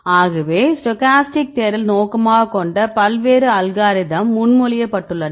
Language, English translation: Tamil, So, various algorithms have been proposed right to do this the stochastic search